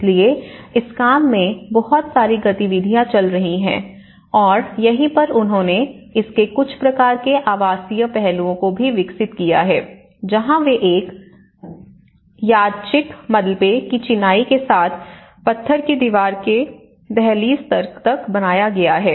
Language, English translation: Hindi, So, there is lot of movement is going on in this work and this is where they also developed some kind of residential aspects of it that is where they built till the sill level with the stone wall with a random, rubble masonries